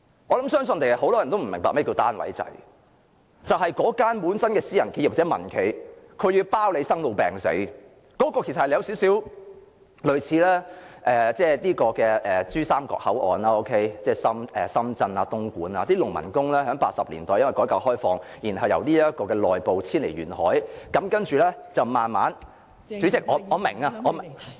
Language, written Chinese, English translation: Cantonese, 我相信很多人也不明白甚麼是單位制，就是私人企業或民間企業要承包生老病死，有少許類似珠三角口岸，即深圳、東莞等，農民工在1980年代因改革開放，由內部遷往沿海，慢慢......代理主席，我明白，我明白......, I think many people do not know what a system of unit is . It is a system in which private or private - sector enterprises when engaging employees pledge to take care of everything of their daily life nominally from cradle to grave; it resembles somewhat the situation in the Pearl River Delta that is in places like Shenzhen and Dongguan the places to which peasant workers moved in the 1980s due to reform and opening up as they moved from the interior to the coastal regions gradually Deputy Chairman I know I understand